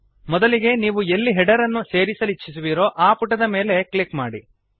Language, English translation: Kannada, First click on the page where the header should be inserted